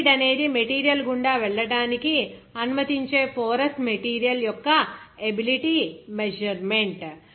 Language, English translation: Telugu, This is a measure of the ability of a porous material to allow fluids to pass through the material